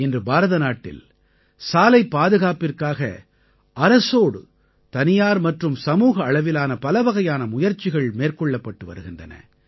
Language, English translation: Tamil, Today, in India, many efforts are being made for road safety at the individual and collective level along with the Government